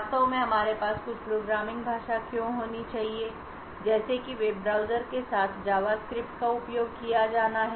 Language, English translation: Hindi, Why do we actually have to have some programming language like JavaScript to be used with web browsers